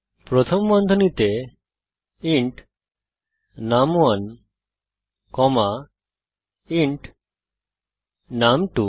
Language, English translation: Bengali, Within parentheses int num1 comma int num2